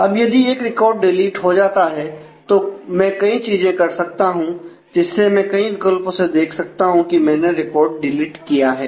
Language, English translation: Hindi, Now, if a if a record is deleted, then there are several things that I can do see that this is a different alternatives, that is if I record delete record I then